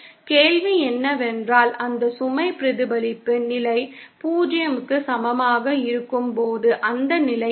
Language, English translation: Tamil, The question is what is that condition, when is that load reflection condition is equal to 0 comes